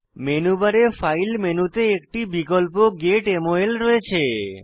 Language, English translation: Bengali, The File menu on the menu bar, has an option Get MOL